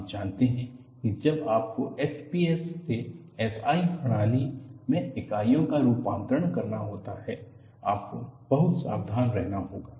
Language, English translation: Hindi, You know, particularly, when you have to do conversion of units from fps to SI system, you will have to be very careful